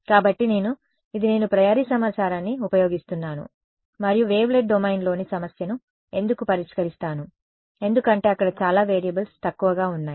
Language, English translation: Telugu, So, I am this is me using apriori information and solving the problem in the wavelet domain why because a number of variables there are lesser